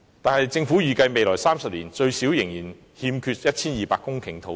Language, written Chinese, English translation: Cantonese, 可是，政府預計未來30年最少仍欠 1,200 公頃土地。, However according to the forecast of the Government there will be a shortage of at least 1 200 hectares of land in the next three decades